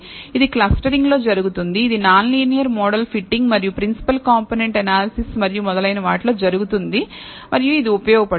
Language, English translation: Telugu, This happens in clustering, this will happen in non linear model fitting and principal component analysis and so on and it is useful